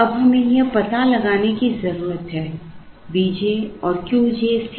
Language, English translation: Hindi, Now, we need to find out this V j and q j c j